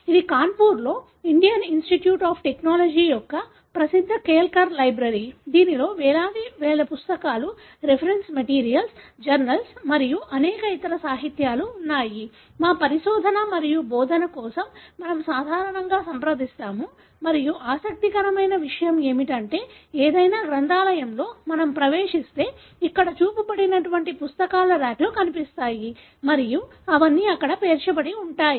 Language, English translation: Telugu, This is the famous Kelkar library of Indian Institute of Technology, Kanpur, which houses thousands and thousands of books, reference materials, journals and many other such literature that we normally consult for our research and teaching and so on and what is interesting is that in any library if we get in, we will find racks of books like what is shown here and they all stacked there